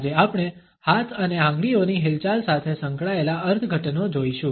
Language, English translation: Gujarati, Today we would look at the interpretations associated with the movement of hands as well as fingers